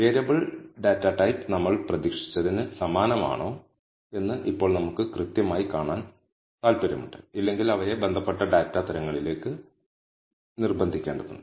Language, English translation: Malayalam, Now we exactly want to see whether the variable data type are same as what we expected them to be, if not we need to coerce them to the respective data types